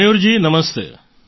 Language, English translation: Gujarati, Mayur ji Namaste